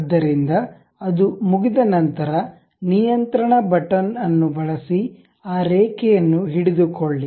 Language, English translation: Kannada, So, once it is done, use control button, hold that line